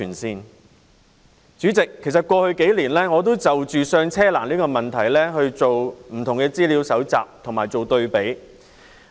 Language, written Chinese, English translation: Cantonese, 代理主席，過去數年，我就"上車"難的問題進行了不同的資料搜集及對比。, Deputy President in recent years I have collected and compared various data in relation to the difficulty for Hong Kong people to buy their first property